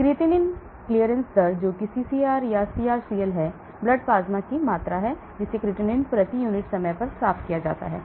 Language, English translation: Hindi, Creatinine clearance rate that is CCR or CrCl is the volume of blood plasma that is cleared of creatinine per unit time